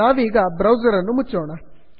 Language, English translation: Kannada, Lets close this browser